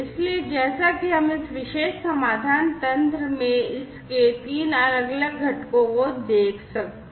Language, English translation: Hindi, So, as we can see over here its 3 different components in this particular solution mechanism